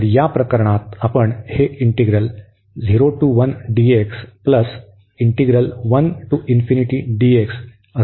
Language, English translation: Marathi, Now, we will discuss only this integral here